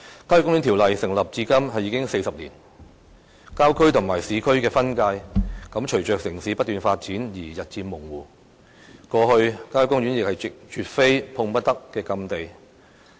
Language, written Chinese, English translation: Cantonese, 《郊野公園條例》制定至今已經40年，郊區與市區的分界隨着城市不斷發展而日漸模糊，過去郊野公園亦絕非碰不得的禁地。, It has been 40 years since the enactment of the Country Parks Ordinance . With continued urban development the delineation between rural areas and urban areas has turned increasingly blurred . In the past country parks were not forbidden areas which were absolutely untouchable as such